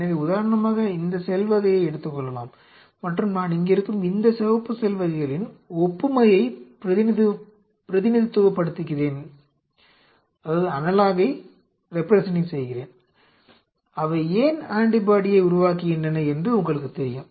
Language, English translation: Tamil, So, I say for example, these cell type and the I am representing the analog of this these red cell types which are there, they produced antibody say you know y